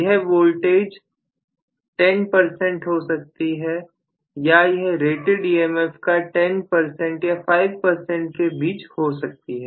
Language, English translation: Hindi, This voltage may be 10 percent, or you know less than 10 percent or five percent let us say of rated emf